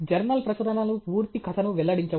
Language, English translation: Telugu, Journal publications do not reveal the full story